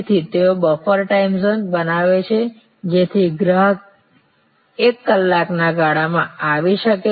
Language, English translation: Gujarati, So, they create a buffer time zone, so that customer's can arrive over a span of one hour